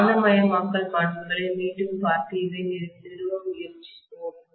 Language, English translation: Tamil, Let us try to look at again the magnetisation characteristic and establish this